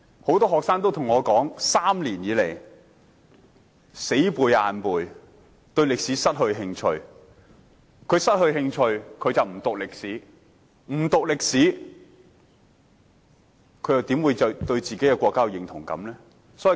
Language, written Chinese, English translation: Cantonese, 很多學生對我說，他們3年不停死啃硬背，已對歷史失去興趣，因此不願修讀，不讀歷史，他們又怎會對自己國家產生認同感？, Many students have told me that they have lost interest in history after three years of rote learning and they do not want to study history anymore . But if they do not study history how can they develop a sense of identification with their country?